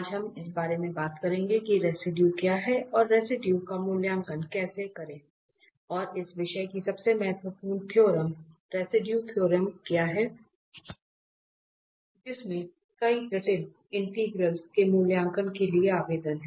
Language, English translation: Hindi, So, today we will be talking about what are the Residue and how to evaluate the residue and the most important theorem of this topic is the residue theorem which has application for evaluating a several complex integrals